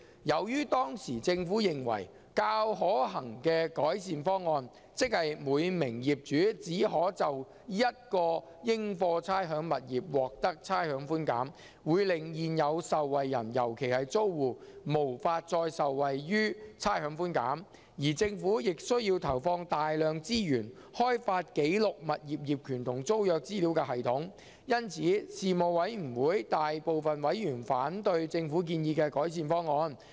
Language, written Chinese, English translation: Cantonese, 由於當時政府認為較可行的改善方案，即每名業主只可就一個應課差餉物業獲得差餉寬減，會令現有受惠人，尤其是租戶，無法再受惠於差餉寬減，而政府亦需要投放大量資源開發記錄物業業權和租約資料的系統，因此事務委員會大部分委員反對政府建議的改善方案。, As the improvement proposal that the Government considered feasible namely providing rates concession to one rateable property for each owner would make it impossible for existing beneficiaries particularly tenants to benefit from rates concession any longer and the Government would also need to commit a lot of resources in developing a system for recording information on property ownership and tenancy most members of the Panel objected to the improvement proposal put forward by the Government